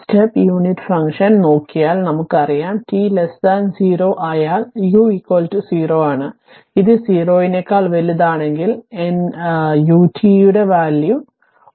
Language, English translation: Malayalam, So, we have explained the step unit function that for t less than 0, that is your u t is equal to 0 and t greater than 1 sorry t greater than 0, that u t is equal to 1